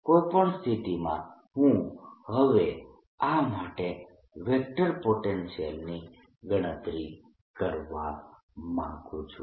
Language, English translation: Gujarati, in any case, i want to now calculate the vector potential for this